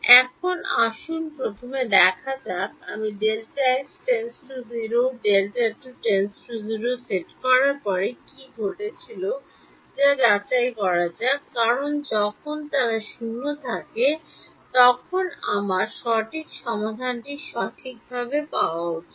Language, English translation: Bengali, Now, let us see first of all let us first check what happen when I set delta x and delta t tending to 0 because when they tend to 0, I should I should get the correct solution right